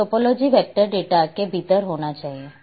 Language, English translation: Hindi, So, topology is must with vector data